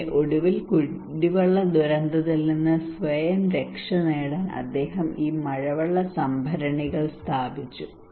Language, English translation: Malayalam, So finally he installed these rainwater harvesting to protect himself from drinking water disaster